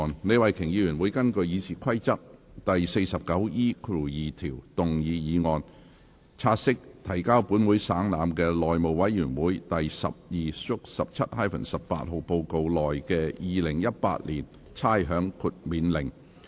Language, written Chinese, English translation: Cantonese, 李慧琼議員會根據《議事規則》第 49E2 條動議議案，察悉提交本會省覽的內務委員會第 12/17-18 號報告內的《2018年差餉令》。, Ms Starry LEE will move a motion under Rule 49E2 of the Rules of Procedure to take note of the Rating Exemption Order 2018 which is included in Report No . 1217 - 18 of the House Committee laid on the Table of this Council